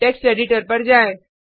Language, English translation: Hindi, Switch to text editor